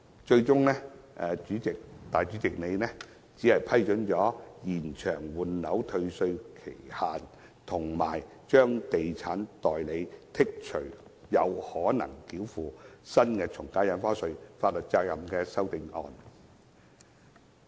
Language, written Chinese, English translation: Cantonese, 主席最終只批准延長換樓退稅期限，以及豁免地產代理繳付新的從價印花稅的法律責任的修正案。, The President has finally only approved the CSAs on extending the statutory time limit for disposing of the original residential property under the refund mechanism and exempting estate agents from the new AVD payment